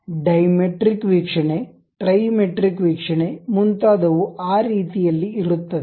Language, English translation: Kannada, Any other view like diametric view, trimetric view, it will be in that way